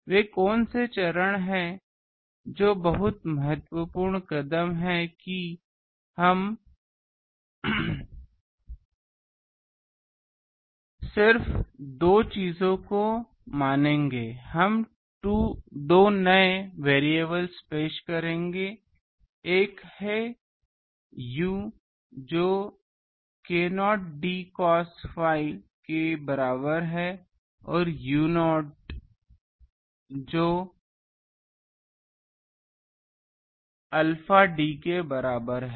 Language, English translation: Hindi, What are those step very important steps that we will just assume 2 things we will introduce 2 new variables, one is u is equal to k not d cos phi and u not is equal to alpha d